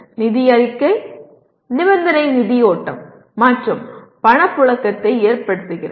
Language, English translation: Tamil, The financial statement, the condition is using fund flow and cash flow